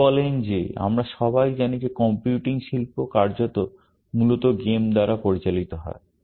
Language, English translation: Bengali, He said that we all know that the computing industry is virtually driven by games, essentially